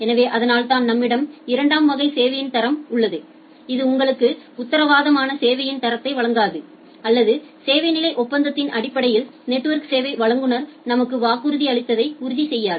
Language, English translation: Tamil, So, that is why we have a second class of quality of service, which does not give you guaranteed quality of service or which does not ensure that whatever the network service provider has promised to me in terms of service level agreement